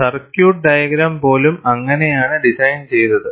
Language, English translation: Malayalam, That is how, even the circuit diagram is designed